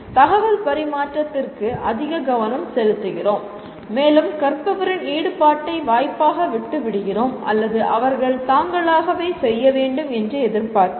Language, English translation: Tamil, We focus more on information transmission or information transfer and leave the learner’s engagement to either chance or you expect them to do on their own